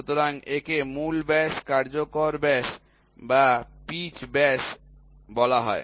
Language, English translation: Bengali, So, this is called the roots diameter, effective diameter or the pitch diameter